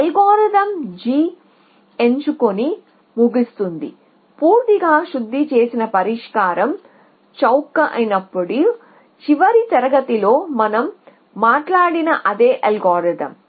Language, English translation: Telugu, So, the algorithm will pick g and terminate, the same algorithm that we talked about in the last class when the completely refined solution is becomes a cheapest